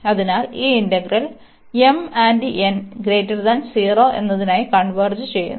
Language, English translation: Malayalam, So, this integral will converge for m and n, they are positive greater than 0